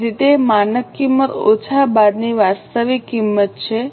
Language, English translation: Gujarati, So, it is standard cost minus actual cost